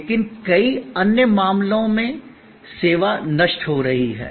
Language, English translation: Hindi, But, in many other cases, service is perishable